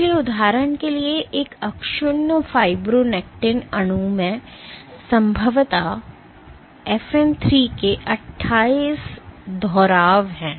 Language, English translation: Hindi, So, for example, one intact fibronectin molecule it probably has 28 repeats of FN 3